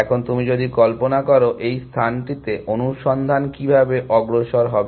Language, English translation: Bengali, Now, if you visualize, how search will progress in this space